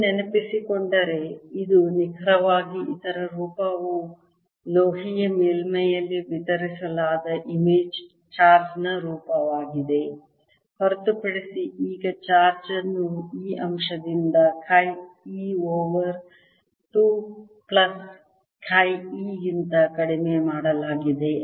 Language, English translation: Kannada, the form of this is precisely the form of image charge distributed over metallic surface, except that now the charge is reduced by this factor: chi e over two plus chi e